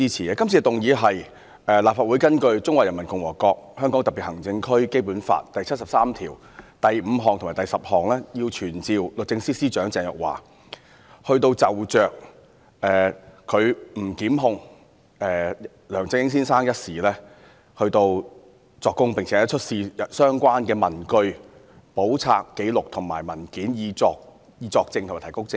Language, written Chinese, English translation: Cantonese, 今次的議案是根據《中華人民共和國香港特別行政區基本法》第七十三條第五項和第十項，要求傳召律政司司長鄭若驊，就其不檢控梁振英先生一事作供，並出示相關文據、簿冊、紀錄和文件，以及作證和提供證據。, The motion this time is moved pursuant to Article 735 and 10 of the Basic Law of the Hong Kong Special Administrative Region of the Peoples Republic of China to summon the Secretary for Justice Ms Teresa CHENG to attend before the Council and to produce all relevant papers books records or documents and to testify or give evidence on her decision of not prosecuting Mr LEUNG Chun - ying and relevant matters